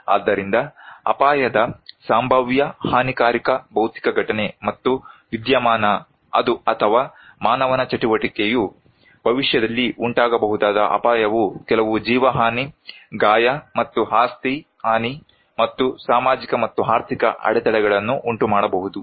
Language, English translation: Kannada, So, hazard which is a potential damaging physical event and phenomena or human activity which can cause in future may cause some loss of life, injury and property damage and social and economic disruptions